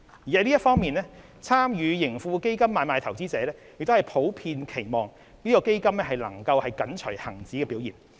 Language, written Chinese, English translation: Cantonese, 在這方面，參與盈富基金買賣的投資者普遍期望該基金能緊隨恒指的表現。, In this regard investors who participate in the trading of TraHK generally expect that the fund can closely resemble the performance of the Hang Seng Index